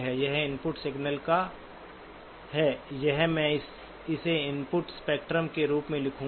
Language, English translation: Hindi, This is of the input signal or I will just write it as input spectrum